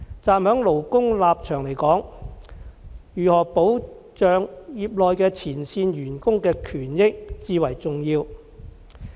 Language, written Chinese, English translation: Cantonese, 站在勞工的立場來說，如何保障業內的前線員工的權益至為重要。, From the workers perspective how to safeguard the interests of frontline staff is of vital importance